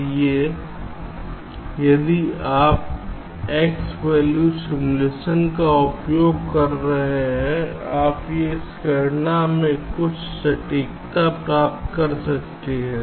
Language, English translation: Hindi, so if you are using x value simulation, you can get some accuracy in this calculation, right